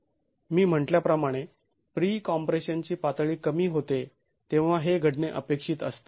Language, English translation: Marathi, As I said this is expected to occur when the level of pre compression is low